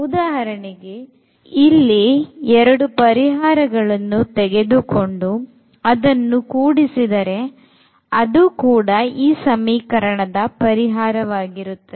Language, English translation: Kannada, So, if we add equation number 2 here, then this will be also eliminated